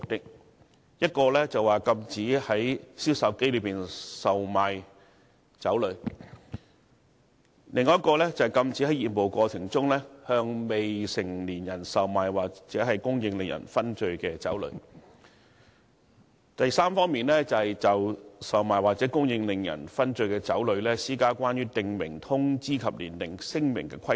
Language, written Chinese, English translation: Cantonese, 第一，禁止以銷售機售賣令人醺醉的酒類；第二，禁止在業務過程中，向未成年人售賣或供應令人醺醉的酒類；以及第三，就售賣或者供應令人醺醉的酒類，施加關於訂明通知及年齡聲明的規定。, 109 and the Dutiable Commodities Liquor Regulations Cap . 109B so as to realize a few major purposes first to restrict the sale of intoxicating liquor from vending machines; second to prohibit the sale or supply of intoxicating liquor to minors in the course of business; and third to impose requirements for a prescribed notice and age declaration for the sale or supply of intoxicating liquor